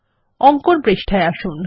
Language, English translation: Bengali, Move to the draw page